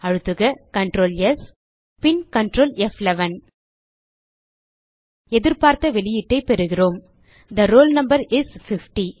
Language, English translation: Tamil, Press Ctrl,S and Ctrl F11 We get the output as expected The roll number is 50